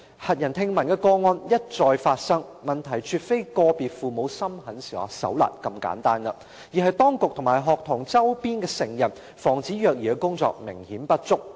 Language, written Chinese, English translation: Cantonese, 駭人聽聞的個案一再發生，問題絕非個別父母心狠手辣這麼簡單，而是當局及學童周邊的成人防止虐兒的工作明顯不足。, Appalling cases happened over and over again . The problem is definitely not as simple as the cruelty committed by individual parents but the evident inadequacies in the work of prevention of child abuse by the authorities and adults around students